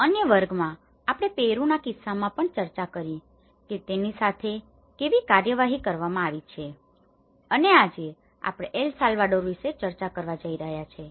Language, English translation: Gujarati, In other classes, we have also discussed in the case of Peru, how it has been dealt and today we are going to discuss about the El Salvador